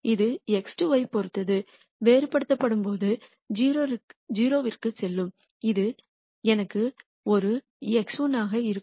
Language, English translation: Tamil, This when differentiated with respect to x 2 will go to 0 corresponding to this I will have a minus x 1